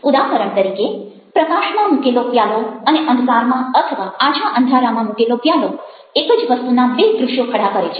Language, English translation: Gujarati, for example, a glass, ah, in light and the same glass in darkness or semi darkness are presented, presenting two different visuals of the same things